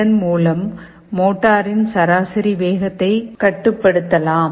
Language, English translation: Tamil, By doing this, the average speed of the motor can be controlled